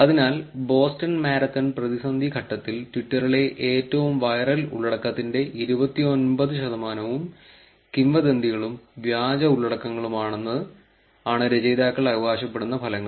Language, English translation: Malayalam, So, what are the results that the authors claim is that twenty nine percent of the most viral content on twitter during the Boston Marathon crisis were rumours and fake content